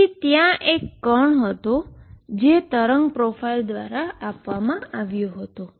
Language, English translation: Gujarati, So, there was this particle which is being given by this profile of wave